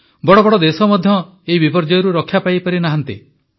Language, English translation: Odia, Even big countries were not spared from its devastation